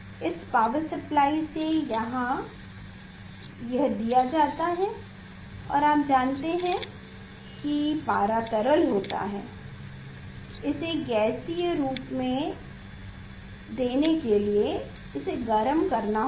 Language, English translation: Hindi, this from this power supply this is here it is given, and you know mercury is liquid to make it; to make it gaseous form, we have to heat it